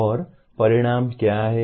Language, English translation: Hindi, And what is an outcome